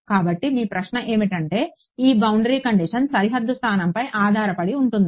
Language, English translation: Telugu, So, your question is that is this boundary condition dependent on the boundary location